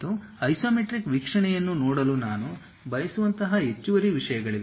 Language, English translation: Kannada, And there will be additional things like, I would like to see isometric view